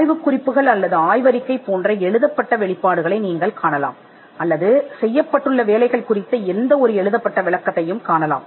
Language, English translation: Tamil, You could find disclosures written disclosures like lab notes or thesis or or any kind of written description of work done